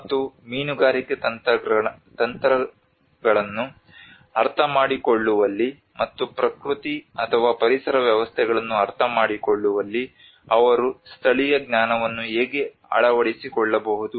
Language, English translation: Kannada, And how they can adopt the indigenous knowledge in understanding the fishing techniques and as well as understanding the nature or the ecosystems